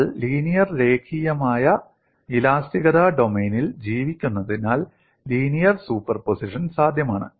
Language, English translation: Malayalam, You could add them, because we are living in the domain of linear elasticity